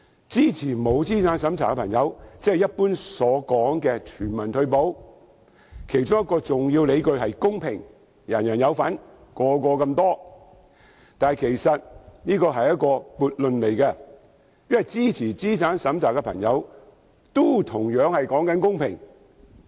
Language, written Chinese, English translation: Cantonese, 支持不設資產審查的朋友，即是一般說的全民退休保障，其中一個重要理據是公平，人人有份，每人所獲的金額相同，但其實這是一個悖論，因為支持資產審查的朋友，也同樣講求公平。, One of the main arguments of those who support non - means - tested retirement protection that is what we generally call universal retirement protection is equity . Everyone can get a share and everyones share is of the same amount . However this is actually paradoxical as those who support imposing a means test also pursue equity